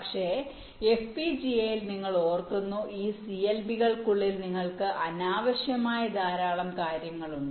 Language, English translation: Malayalam, but in fpga you recall, inside this clbs your have lot of unnecessary things